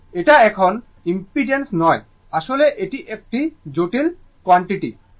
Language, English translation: Bengali, It is not impedance; actually is a complex quantity